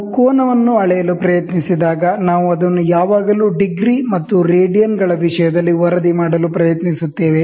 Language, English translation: Kannada, When we try to go measure the angle, we always try to report it in terms of degrees and radians